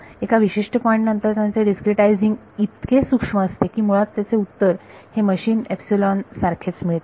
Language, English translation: Marathi, Beyond ta certain point discretizing it even finer is giving basically the same answer to machine epsilon